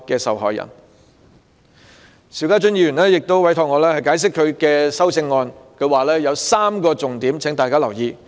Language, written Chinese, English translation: Cantonese, 邵家臻議員亦委託我就他的修正案作出解釋，他有3個重點希望大家留意。, Mr SHIU Ka - chun has also asked me to make an explanation of his amendment here and he would like to draw Members attention to three main points